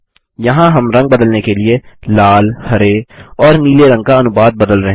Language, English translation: Hindi, Here we are changing the proportion of red, green and blue to change the color